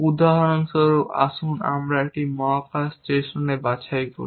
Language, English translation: Bengali, For example, let us pick a space station